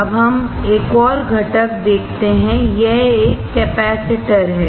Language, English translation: Hindi, Now, let us see another component, this is a capacitor